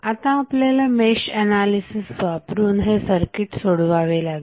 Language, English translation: Marathi, We have to solve the circuit using mesh analysis